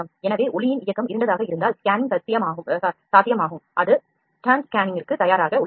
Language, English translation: Tamil, So, movement of light if it is dark then scanning is possible that it is it is ready for stand scanning ok